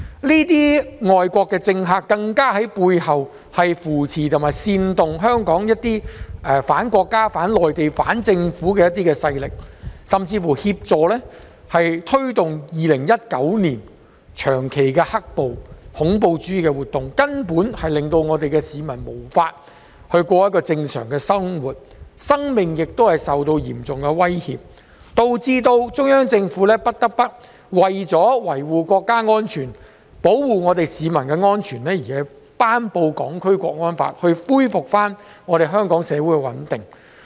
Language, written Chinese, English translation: Cantonese, 這些外國政客更在背後扶持及煽動香港裏一些反國家、反內地及反政府的勢力，甚至協助推動2019年長期的"黑暴"和恐怖主義活動，令市民無法過正常生活，生命亦受到嚴重威脅，導致中央政府不得不為了維護國家安全，保護市民安全而頒布《香港國安法》來恢復香港社會的穩定。, They used such excuse to make irresponsible remarks about Hong Kong . These foreign politicians were clandestinely supporting or inciting certain local anti - China anti - Mainland and anti - Government elements or even assisting in promoting the 2019 black - clad riots and terrorist activities . As a result members of the public were unable to lead a normal life as their lives were under serious threat which left the Central Government with no alternative but to promulgate the National Security Law to safeguard national security and the safety of the people and to restore the stability of society